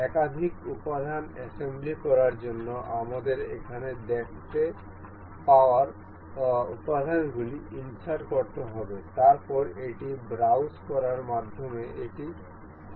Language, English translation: Bengali, To assemble multiple components we have to insert the components we can see here, then going through browse it will open